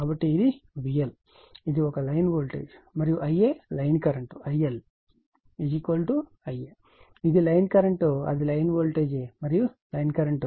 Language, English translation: Telugu, So, it is V L right, it is a line voltage and I a l is equal to line current I a l is equal to I a it is the line current it is line voltage and line current